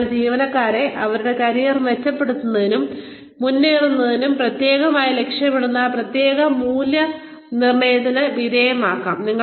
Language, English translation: Malayalam, So, employees could be, put through performance appraisals, that are specifically oriented towards, and geared towards, helping them improve their careers, and advance in their careers